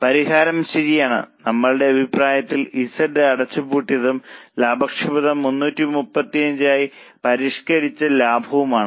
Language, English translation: Malayalam, Our opinion was close Z and the profitability is 335, revised profits